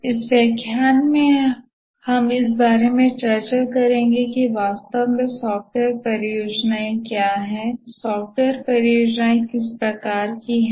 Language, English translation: Hindi, In this lecture we will discuss about what are exactly software projects